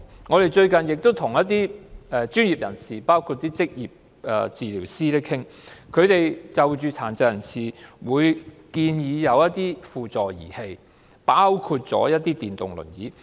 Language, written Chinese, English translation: Cantonese, 我們最近與包括職業治療師在內的專業人士討論，他們建議殘疾人士使用輔助儀器，包括電動輪椅。, We had a discussion recently with professionals including occupational therapists . They recommended people with disabilities to use auxiliary equipment such as electric wheelchairs